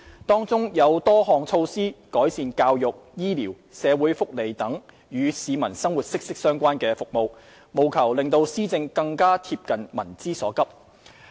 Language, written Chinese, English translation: Cantonese, 當中多項措施旨在改善教育、醫療、社會福利等與市民生活息息相關的服務，務求讓施政更貼近民之所急。, Some of these initiatives seek to improve education health care and social welfare services which are closely related to peoples livelihood so that an administration can address the communitys pressing needs